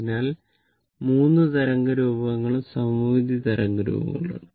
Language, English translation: Malayalam, So, this is symmetrical wave form